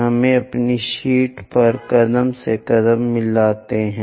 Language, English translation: Hindi, Let us do that on our sheet step by step